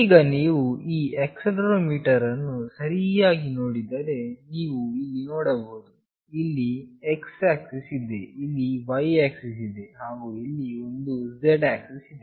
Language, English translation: Kannada, Now, if you see this accelerometer properly, you can see there is x axis here, here is the y axis, and this is the z axis